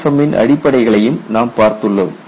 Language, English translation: Tamil, We have also looked at rudiments of EPFM